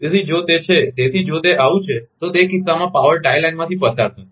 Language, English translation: Gujarati, So, if it is so, if it is so, then, the in that case, the power will flow through the tie line